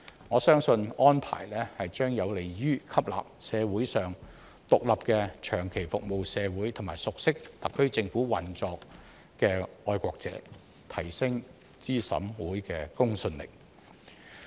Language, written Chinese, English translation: Cantonese, 我相信安排將有利於吸納社會上獨立、長期服務社會和熟悉特區政府運作的愛國者，提升資審會的公信力。, I believe the arrangement is conducive to attracting patriots who are independent have long served the community and are familiar with the operation of the SAR Government thereby enhancing the credibility of CERC